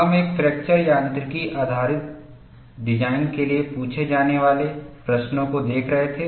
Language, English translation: Hindi, We were looking at questions to be answered for a fracture mechanics based design